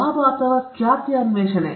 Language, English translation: Kannada, The pursuit of profit or fame